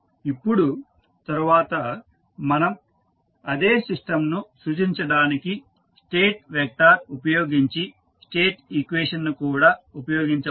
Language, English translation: Telugu, Now, next we can also use the State equation using the state vector for representing the same system